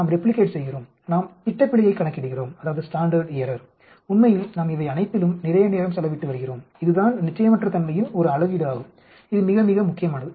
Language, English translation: Tamil, We replicate, we calculate standard, error we have been spending lot of time on all these actually, that is a measure of uncertainty that is very, very important